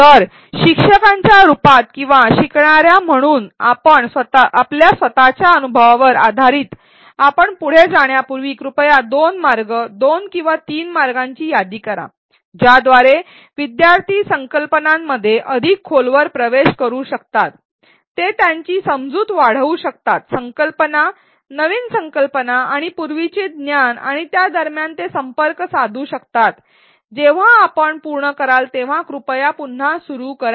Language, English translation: Marathi, So, before we proceed based on your own experience either as teachers or as learners please list two ways two or three ways by which learners can delve deeper into concepts, they can deepen their understanding, they can make connections between the concepts, the new concepts and prior knowledge and so on, when you are done please resume